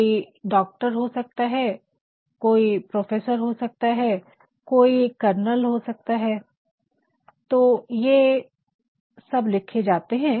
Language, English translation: Hindi, Somebody may be a doctor, somebody may be a professor, somebody may be a colonel and these are written you know in an abbreviated form